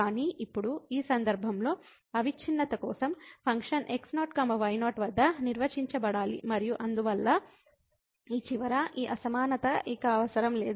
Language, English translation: Telugu, But, now in this case for the continuity the function has to be defined at naught naught and therefore, this inequality at this end is no more required